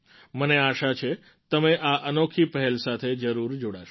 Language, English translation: Gujarati, I hope you connect yourselves with this novel initiative